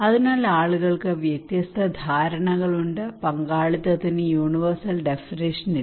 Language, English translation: Malayalam, So, therefore, people have different understanding; there is no universal definition of participations